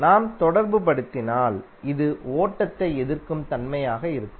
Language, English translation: Tamil, If you correlate this will also have the property to resist the flow